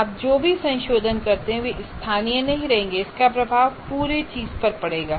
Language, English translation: Hindi, Whatever modifications you do, they will not remain local and it will have impact on the entire thing